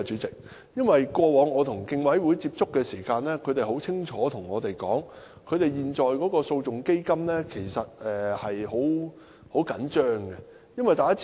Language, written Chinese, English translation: Cantonese, 過往我與競委會接觸時，他們很清楚地表示，現時訴訟基金緊絀。, When I made contact with the Commission in the past they have clearly expressed that the legal action fund is financially tight